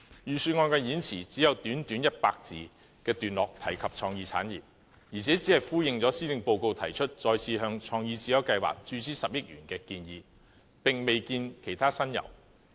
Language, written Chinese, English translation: Cantonese, 預算案的演辭只有短短100字的段落提及創意產業，而且只是呼應施政報告提出再次向創意智優計劃注資10億元的建議，並未見其他新猷。, In the Budget speech there was only a short paragraph of about 100 words on creative industries . Moreover it merely echoed the proposal in the Policy Address of injecting another 1 billion into the CreateSmart Initiative CSI . No other new ideas could be seen